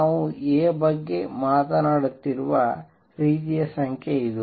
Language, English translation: Kannada, This is the kind of number that we are talking about A